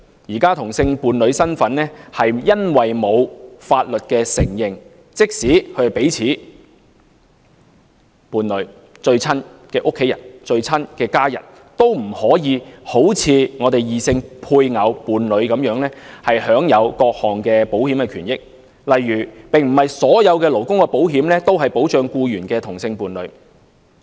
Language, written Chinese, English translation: Cantonese, 目前同志伴侶身份因為未獲法律承認，即使彼此是伴侶、最親密的家人，都不可以好像異性配偶、伴侶般享有各項保險權益，例如並不是所有勞工保險都保障僱員的同性伴侶。, At present same - sex partnership is not legally recognized . Unlike spouses and partners of opposite sex even if a couple are partners and the closest family members they cannot enjoy various benefits of insurance . For example not all labour insurance policies cover employees same - sex partners